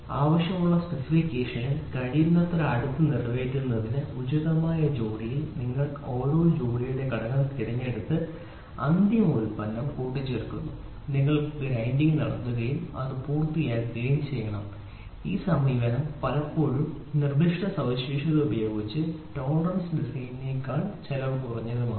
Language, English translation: Malayalam, The final product is assembled by selecting the component of each pair from appropriate bin to meet the required specification as close as possible finally, you have to do a grinding and get it done this approach is often less cost costlier than the tolerance design using tighter specification